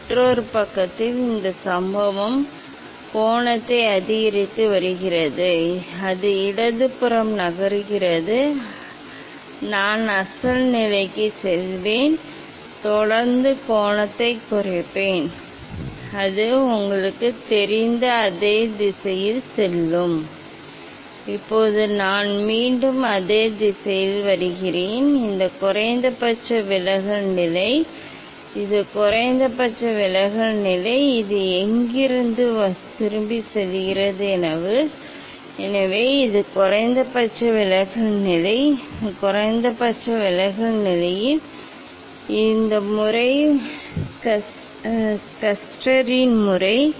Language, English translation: Tamil, I am now increasing the incident angle, so it is moving towards left, I will I am going to the original position and continue decreasing the angle then it will go to the same direction you know, now I am coming back to the same direction, this is the minimum deviation position, this is the minimum deviation position, from where it is going back, so this is the minimum deviation position, At this minimum deviation position this method, Schuster s method is is telling that when this vertex, this apex of this prism the just opposite edge of the base, when you will move towards the let me check it is there yeah, so it is nicely